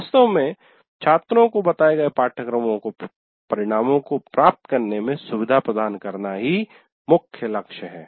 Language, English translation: Hindi, The main goal is really to facilitate the students to attain the stated course outcomes